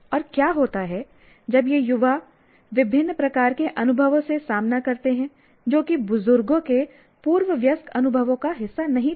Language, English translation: Hindi, And what happens, young persons are confronted by a variety of experiences which were not part of pre adult experiences of elders